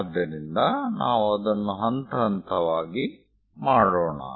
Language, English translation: Kannada, So, let us do that step by step, ok